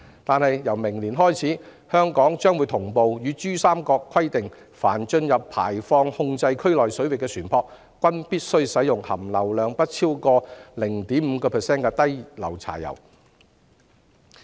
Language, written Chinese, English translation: Cantonese, 而自明年開始，香港將會與珠三角同步實施新規定，即凡進入排放控制區內水域的船舶，均必須使用含硫量不超過 0.5% 的低硫柴油。, Starting from next year in tandem with the Pearl River Delta Hong Kong will implement the new requirement that all vessels entering the waters within the emission control area shall use low sulphur diesel with sulphur content not more than 0.5 %